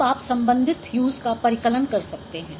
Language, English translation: Hindi, So now you can compute the corresponding hues